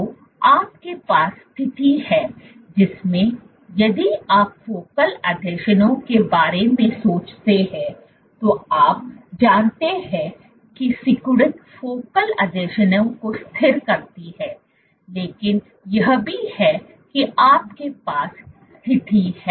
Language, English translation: Hindi, So, what you have is a situation in which if you think of focal adhesions, you know that contractility stabilizes focal adhesions, but also what you have is a situation